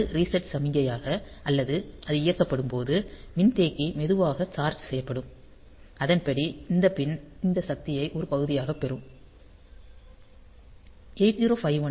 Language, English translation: Tamil, So, that will be giving as reset signal or when it is switched on; then also the capacitor slowly gets charged and accordingly we get this pin this power on part